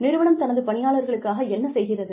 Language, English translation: Tamil, What is it that, the company wants to do, for its employees